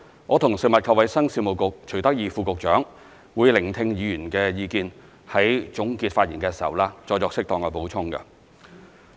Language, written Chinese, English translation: Cantonese, 我和食物及衞生局徐德義副局長會聆聽議員的意見，在總結發言時再作適當的補充。, I together with Under Secretary for Food and Health Dr CHUI Tak - yi will listen to Members views and suitably supplement in the closing remarks